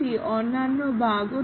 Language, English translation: Bengali, 150 other bugs were also detected